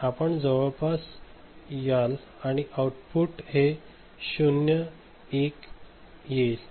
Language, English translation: Marathi, So, you will come to the approximation of this and this output this 0s 1s ok